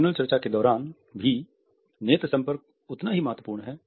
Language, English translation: Hindi, Eye contact is equally important during the panel discussions also